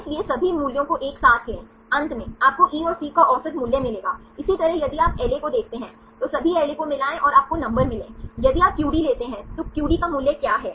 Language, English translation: Hindi, So, take all the values, taken together, finally, you will get the average value of E and C; likewise if you see LA, combine all the LAs and you got the numbers; if you take QD, what is the value for QD